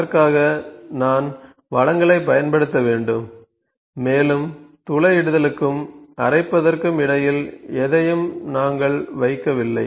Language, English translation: Tamil, For that I need to use resources, before that I would like to make you to note that we have not even yet put anything between the drilling and grinding